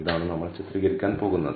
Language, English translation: Malayalam, So, this is what we are going to illustrate